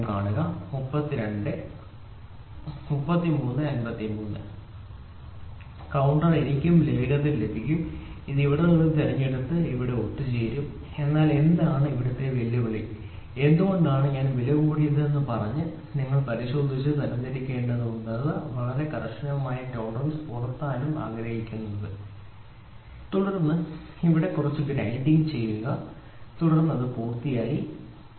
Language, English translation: Malayalam, So, counter I will also have then quickly I can pick from here and pick and assemble here, but here what is the big challenge and why did I say costly you have to first verify and sort it out and even after sorting it out if you want to have very tight tolerances then pick here pick here do some grinding and then get it done, ok